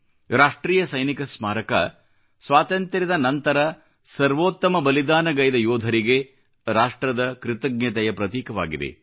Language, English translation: Kannada, The National Soldiers' Memorial is a symbol of the nation's gratitude to those men who made the supreme sacrifice after we gained Independence